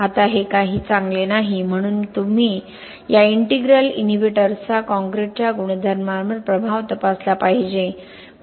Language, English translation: Marathi, Now this is not something which is good, so you must check the effect of these integral inhibitors on the properties of the concrete